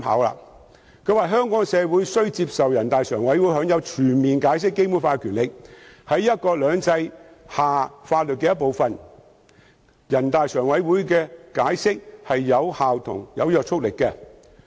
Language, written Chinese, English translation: Cantonese, 他表示，香港社會需要接受人大常委會享有全面解釋《基本法》的權力，在"一國兩制"下這是法律的一部分，人大常委會的解釋是有效及有約束力的。, He stated that the community had to accept NPCSCs power to fully interpret the Basic Law . This was part of the law under one country two systems and the NPCSCs interpretation was effective and binding